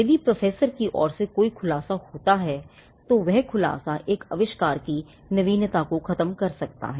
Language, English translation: Hindi, If there is any disclosure be it from the professor himself then that disclosure can kill the novelty of an invention